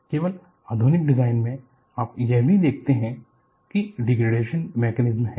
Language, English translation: Hindi, Only in modern design, you also look at, there are degradation mechanisms